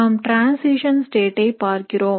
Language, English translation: Tamil, So we are looking at the transition state